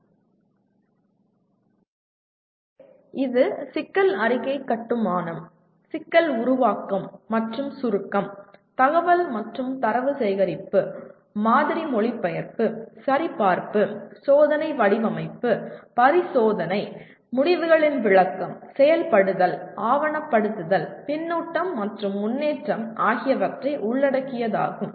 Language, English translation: Tamil, So once again to repeat, it involves problem statement construction, problem formulation, and abstraction, information and data collection, model translation, validation, experimental design, experimentation, interpretation of results, implementation, documentation, feedback, and improvement